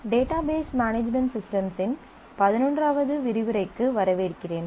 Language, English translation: Tamil, Welcome to module eleven of database management system